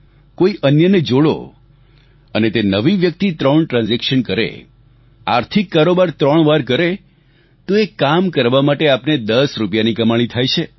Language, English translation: Gujarati, If the new member does three transactions, performs financial business thrice, you stand to earn ten rupees for that